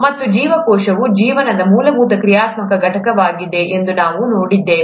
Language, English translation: Kannada, And, then we saw that the cell is the fundamental functional unit of life